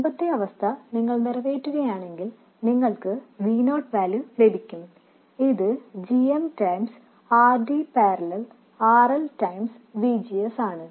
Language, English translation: Malayalam, If you satisfy the earlier condition, you will get the value of V0, which is minus GM times RD parallel RL times VGS